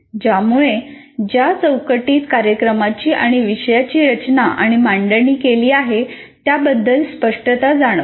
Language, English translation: Marathi, So there is clarity about the framework in which a program and a course is designed and offered